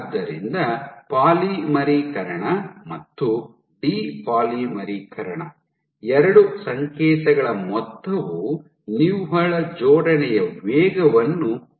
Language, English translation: Kannada, So, polymerization plus depolymerization, the sum of the two signals will give me the net assembly rate